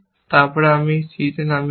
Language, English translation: Bengali, Then, you put down c